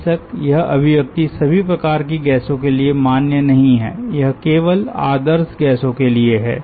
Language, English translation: Hindi, of course this expression is not valid for all types of gases, only for ideal gases